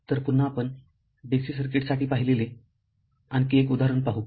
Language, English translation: Marathi, So again we come to another example looked for DC circuit